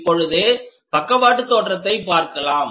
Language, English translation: Tamil, Now, side view